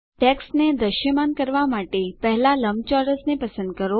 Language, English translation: Gujarati, To make the text visible, first select the rectangle